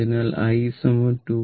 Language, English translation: Malayalam, So, it will be 2